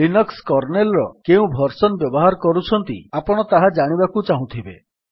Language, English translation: Odia, You may want to know what version of Linux Kernel you are running